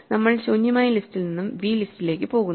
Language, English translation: Malayalam, We go from the empty list to the list v